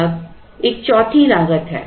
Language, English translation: Hindi, Now there is a fourth cost